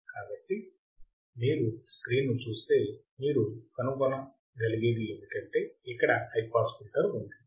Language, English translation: Telugu, So, if you see the screen what you can find is that there is a high pass filter